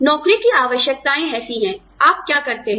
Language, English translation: Hindi, The requirements of the job are such, what you do